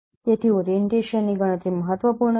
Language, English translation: Gujarati, So computation of orientation is important